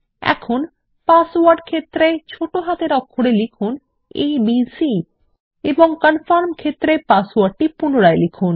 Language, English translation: Bengali, Now, in the Password field, lets enter abc, in the lower case, and re enter the password in the Confirm field